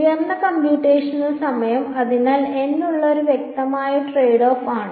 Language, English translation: Malayalam, Higher computational time so that is one that is one obvious trade off for n